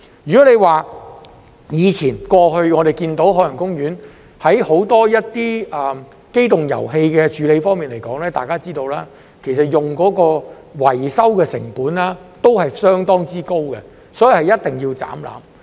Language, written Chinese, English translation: Cantonese, 如果說到過去，我們看到海洋公園在很多機動遊戲處理方面，如大家所知，所用的維修成本其實相當高，所以一定要"斬纜"。, If we look at the past we can see that the maintenance cost of many amusement rides in OP is actually quite high which is known to us all so it must break away from this mode of operation